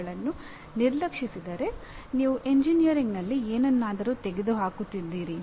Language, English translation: Kannada, If these are ignored, something about engineering is you are removing